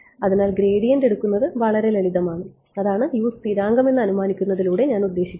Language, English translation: Malayalam, So, to take gradient is very simple that is what I mean by assuming U constant